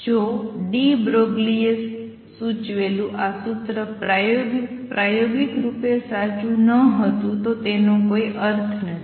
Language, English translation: Gujarati, If this formula that de Broglie proposed was not true experimentally, it would have no meaning